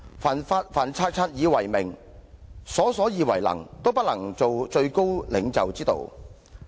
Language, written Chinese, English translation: Cantonese, 凡察察以為明，瑣瑣以為能，都不是做最高領袖之道"。, The way for the top leader is neither to display his wisdom by watching over everything nor to show off his ability by attending to trivial matters